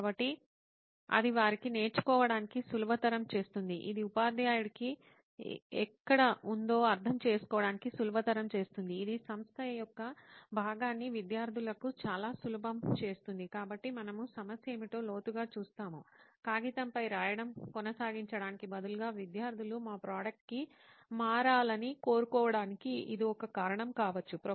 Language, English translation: Telugu, So then one would be it would make it easier for them to learn, it would make it easier for the teacher to probably understand where it is, it would make the organization part of it very easy for students, so we push deeper what the problem is and then probably come to identify okay this would be one reason why students would want to switch to our product instead of continuing to write on paper